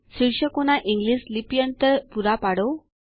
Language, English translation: Gujarati, Provide the English transliteration of the titles